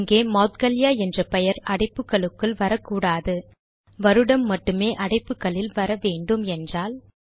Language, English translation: Tamil, Here the name Moudgalya should not come in the brackets, only the year should come in the brackets